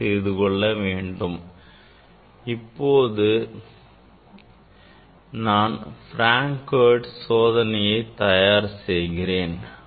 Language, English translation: Tamil, today I will demonstrate Frank Hertz experiment